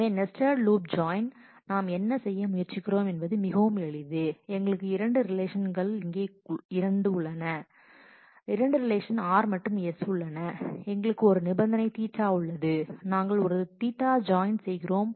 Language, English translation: Tamil, So, nested loop join what we are trying to do is very simple we have two relations we have two relations here r and s and we have a condition theta and we are doing a theta join